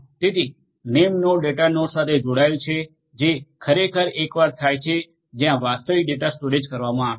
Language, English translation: Gujarati, So, name nodes are connected to the data nodes which are actually the once where the storage of the actual data is done